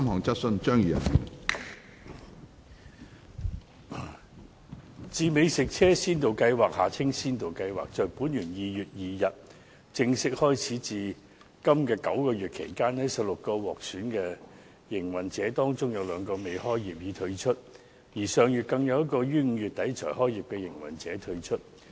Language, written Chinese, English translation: Cantonese, 自美食車先導計劃於本年2月2日正式開始至今的9個月期間，在16個獲選的營運者當中，有兩個未開業已退出，而上月更有一個於5月底才開業的營運者退出。, In the nine months from the official commencement of the Food Truck Pilot Scheme on 2 February this year up to now among the 16 selected operators two dropped out before commencing operation while one who had just begun operation in end of May dropped out last month